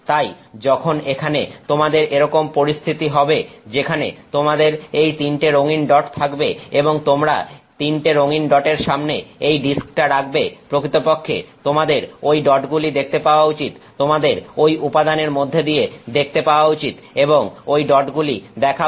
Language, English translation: Bengali, Therefore, when you have this situation here where you have these three colored dots and you keep this disk in front of those three colored dots, you should actually see those dots